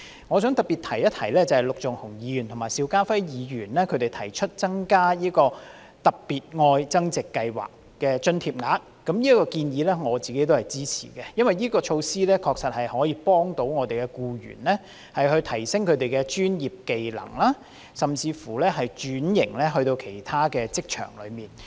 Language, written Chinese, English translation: Cantonese, 我想特別提及陸頌雄議員及邵家輝議員提出增加"特別.愛增值"計劃的津貼額，我也支持這個建議，因為這項措施確實可以幫助僱員提升專業技能，甚至轉至其他職場。, I would like to highlight the proposal made by Mr LUK Chung - hung and Mr SHIU Ka - fai to increase the amount of allowance under the Love Upgrading Special Scheme . I also support this proposal because this measure can truly help employees upgrade their professional skills or even switch occupations